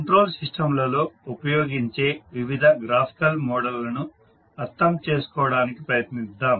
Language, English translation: Telugu, So let us try to understand what are the various graphical models used in the control systems